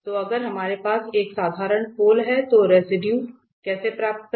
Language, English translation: Hindi, So, the, if we have a simple a pole then how to get the residue